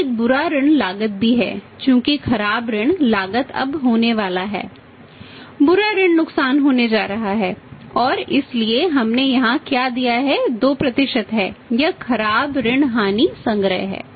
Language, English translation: Hindi, So, there is a bad debt cost also at the bad debt cost is going to be that now the bad debt losses are going to be or maybe what we have given here is that is 2% that bad debt losses collection